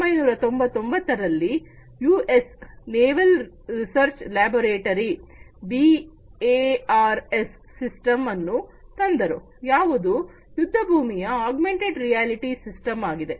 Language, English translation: Kannada, In 1999 the US Naval Research laboratory came up with the BARS system which is the battlefield augmented reality system